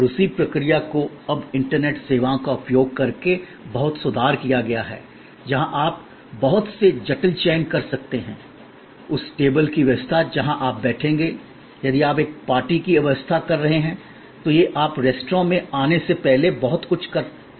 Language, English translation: Hindi, And that same process as now been improved a lot by using of a internet services, where you can do a lot of complicated selection, arrangement of the table where you will sit and think, if you are arranging a party, a lot of that can be now done remotely when before you arrive at the restaurant